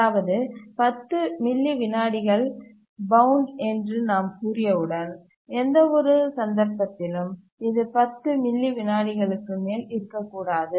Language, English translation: Tamil, That is, once we say that the bound is, let's say, 10 milliseconds, in no case it should exceed 10 milliseconds